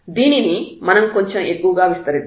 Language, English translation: Telugu, Let us explore this little bit more